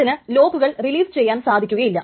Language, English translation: Malayalam, It cannot release locks